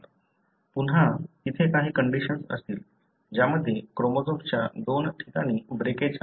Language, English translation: Marathi, Again there could be condition, wherein there is breakage that happens in two places of chromosome